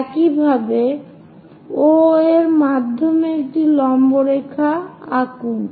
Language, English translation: Bengali, Similarly, draw one perpendicular line through O also